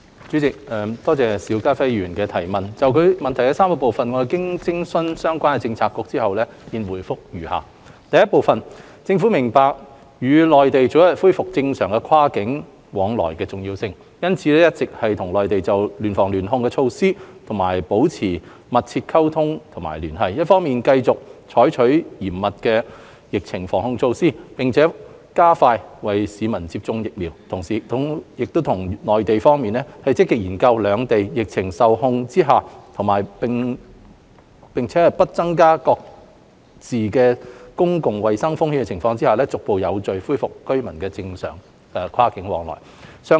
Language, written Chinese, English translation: Cantonese, 主席，多謝邵家輝議員的質詢，就其質詢的3個部分，經徵詢相關政策局，我現答覆如下：一政府明白與內地早日恢復正常跨境往來的重要性，因此一直與內地就聯防聯控措施保持緊密溝通和聯繫，一方面繼續採取嚴密的疫情防控措施，並加快為市民接種疫苗，同時亦與內地方面積極研究在兩地疫情受控並且不增加各自公共衞生風險的情況下，逐步有序恢復居民的正常跨境往來。, Having consulted the relevant bureaux my reply to the three parts of his question is set out below 1 The Government understands the importance of early resumption of normal cross - boundary activities with the Mainland and has therefore been maintaining close communication and liaison with the Mainland on measures of joint prevention and control . The Government has been implementing stringent anti - epidemic measures on the one hand while speeding up vaccination for members of the public on the other . At the same time the Government has been actively exploring with the Mainland the resumption of normal cross - boundary activities between the two places in a gradual and orderly manner premising on the epidemic situation in the two places under control and no additional public health risks to each other